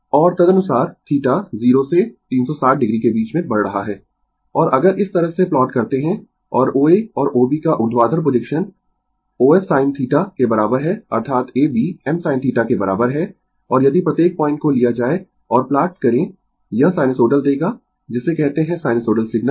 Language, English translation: Hindi, And accordingly theta is increasing theta in between 0 to 360 degree, and if you plot like this and O A and your vertical projection of A B is equal to os sin theta; that is, A B is equal to I m sin theta, and if you take each point and plot it it will give you sinusoidal your what you call sinusoidal signal, right